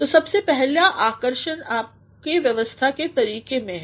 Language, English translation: Hindi, So, the very first attraction lies in the way you have structured it